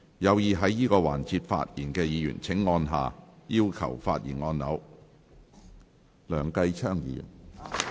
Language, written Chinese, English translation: Cantonese, 有意在這個環節發言的議員請按下"要求發言"按鈕。, Members who wish to speak in this session will please press the Request to speak button